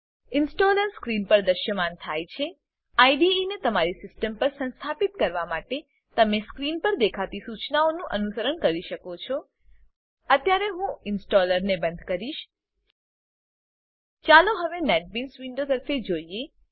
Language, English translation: Gujarati, The installer appears on screen You can follow the onscreen instructions to install the IDE on your system I will exit the installer now Let us now look at the Netbeans Window